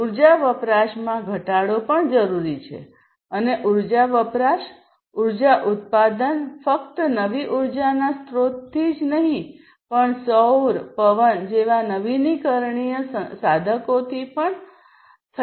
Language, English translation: Gujarati, So, reduction in energy consumption is also required and energy consumption, energy production can be done not only from the non renewable sources of energy, but also from the renewable ones like solar, wind, and so on